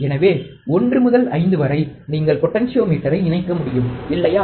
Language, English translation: Tamil, So, between 1 and 5 you can connect the potentiometer, right